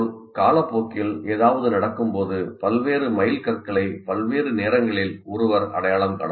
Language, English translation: Tamil, Similarly, when something happens over time, one can identify all the milestone as of at various times